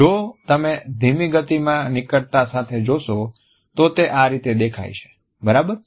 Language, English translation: Gujarati, If you have look in slow motion with a close up, this is how it looks, all right